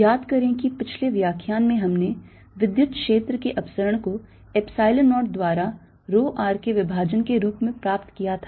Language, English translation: Hindi, recall that in the previous lecture we obtained the divergence of electric field as rho r over epsilon zero